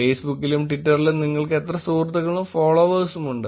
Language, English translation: Malayalam, How many friends and followers do you have on Facebook and Twitter